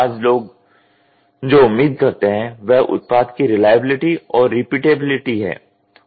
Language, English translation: Hindi, Today what people expect is reliability and repeatability of the product